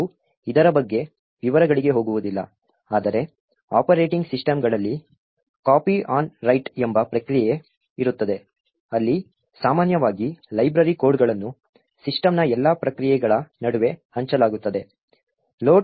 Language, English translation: Kannada, We will not go into the details about this but in operating systems there is a process called copy on write, where typically library codes are all shared between all processes in the system